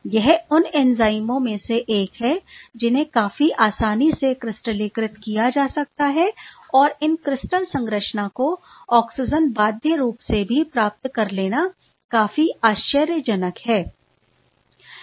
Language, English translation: Hindi, Almost easily it is one of those enzyme which can be crystallized quite easily and it was quite amazing to get these crystal structure even with the oxygen bound form right